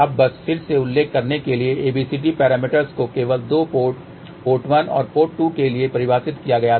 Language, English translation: Hindi, Now, just to mention again abcd parameters were defined only for two ports, port 1 and port 2